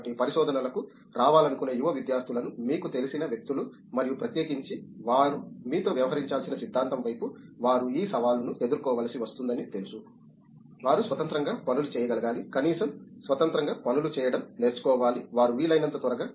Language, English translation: Telugu, So, people who you know young students who wish to come to research and particularly in the theory side they should be dealing to you know get up to this challenge that they should be able to do things independently, should learn at least to do things independently as soon as they can